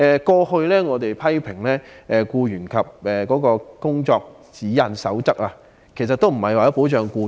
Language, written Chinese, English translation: Cantonese, 過去我們曾批評《工作守則》並非旨在保障僱員，......, In the past we criticized the Code of Practice for failing to protect employees it instead only seeks to facilitate operation